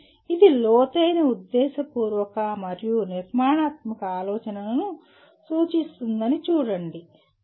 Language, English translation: Telugu, See it refers to the deep intentional and structured thinking, okay